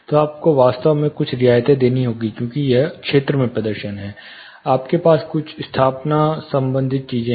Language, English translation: Hindi, So, you have to actually give certain concessions for it is performance in the field, moment you have certain installation related things